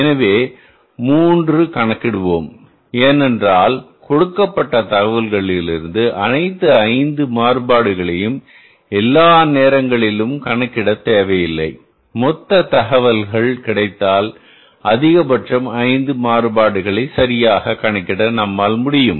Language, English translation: Tamil, So, we will calculate the three variances because it is not required all the times that from the given information all the five variances can be calculated